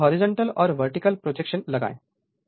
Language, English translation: Hindi, Now, you make all horizontal and vertical projection